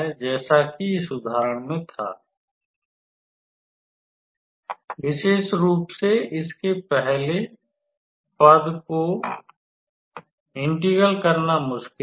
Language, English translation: Hindi, So, as in this example, it becomes a rather complicated to integrate especially the first term